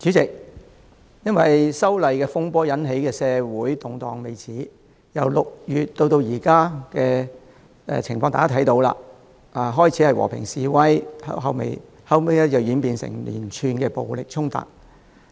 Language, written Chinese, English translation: Cantonese, 主席，因修例風波而引起的社會動盪未止，大家可以看到由6月至今，情況由最初的和平示威，演變至後期的連串暴力衝突。, President the social upheaval generated by disturbances arising from the proposed legislative amendments continues . The situation which began in June as peaceful demonstrations has subsequently turned into series of violent clashes as we see at present